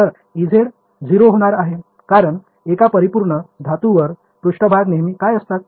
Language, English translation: Marathi, So, e z is going to be 0 because on a perfect metal the surface the fields are always what